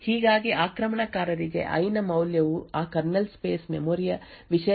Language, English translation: Kannada, Thus, the attacker would know that the value of i in other words the contents of that kernel space memory has a value of 84